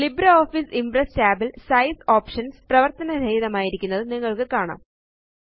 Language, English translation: Malayalam, In the LibreOffice Impress tab, you will find that the Size options are disabled